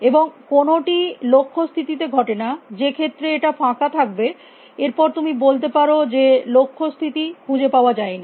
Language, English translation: Bengali, And none of them happens with the goal state in which case it will be empty, and then you can say that goal state cannot